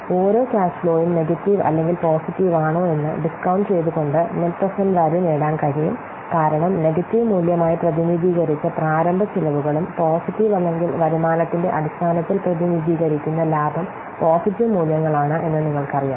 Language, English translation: Malayalam, The net present value can be obtained by discounting each cash flow both whether it is negative or positive because you know the initial expenses that we represent as negative value and then the profit we represent in terms of the positive or the income that we represent as positive what values